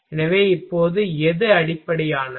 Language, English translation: Tamil, So, now, which one is based